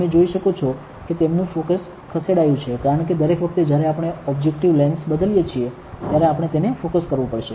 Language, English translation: Gujarati, You can see that their focus has shifted because every time we are changing the objective lens, we have to focus it